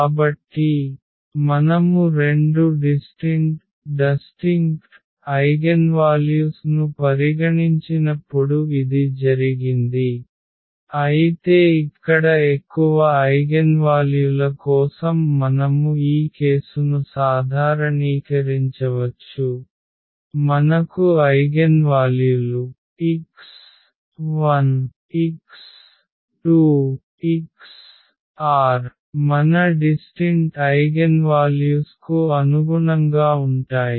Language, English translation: Telugu, So, this was the case when we have considered two distinct eigenvalues, but we can also generalize this case for more eigenvalues for instance here, we have eigenvalues x 1, x 2, x 3, x r are corresponding to our distinct eigenvalues here